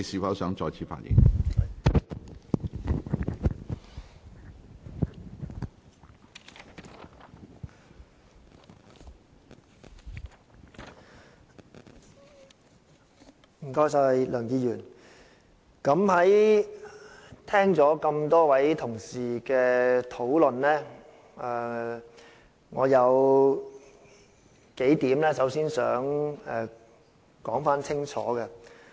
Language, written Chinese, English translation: Cantonese, 梁議員，聽過多位同事的討論，我首先想說清楚數點。, Mr LEUNG having listened to the discussion of a number of Honourable colleagues I wish to make clear a few points before all else